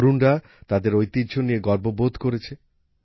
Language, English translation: Bengali, The youth displayed a sense of pride in their heritage